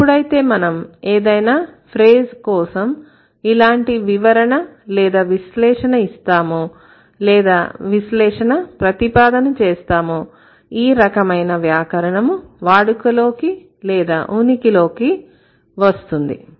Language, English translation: Telugu, So, when you are trying to explain or when you are trying to analyze, like when you are trying to propose an analysis for any kind of phrase, this sort of a grammar comes into existence